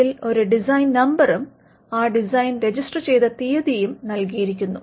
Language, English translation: Malayalam, It bears a design number, the date of registration of that design is given